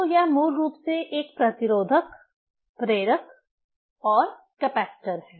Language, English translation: Hindi, So, that is basically a resistor, inductor and capacitor right